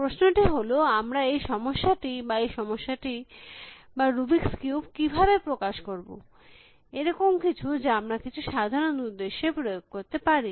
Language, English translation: Bengali, The question is that, how can we pose this problem or this problem or the rubrics cube as something that we can apply some general purpose